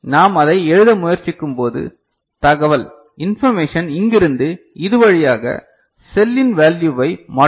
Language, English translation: Tamil, And when we are trying to write it – so, information will go from here, through here and change the value of the cell